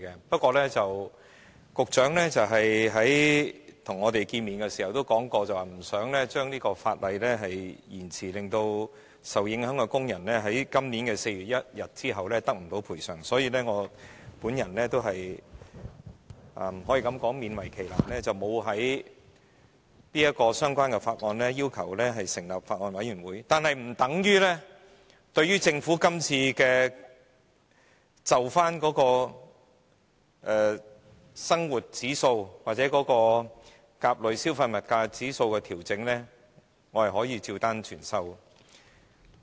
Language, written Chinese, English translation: Cantonese, 不過，局長在與我們會面時也說過，不想把這項法例延遲實施，令受影響的工人在今年4月1日後得不到賠償，所以我是勉為其難，沒有就相關法案要求成立法案委員會，但這並不等於我對政府今次就生活指數或甲類消費物價指數的調整照單全收。, However during a meeting with the Secretary he has mentioned that he does not want to delay the enforcement of this legislation for fear that the affected workers cannot get the compensation after 1 April this year . Reluctantly I thus have not asked to set up a Bills Committee on the Bill concerned . But this does not mean that I totally accept this adjustment from the Government with reference to the index of living or the Consumer Price Index A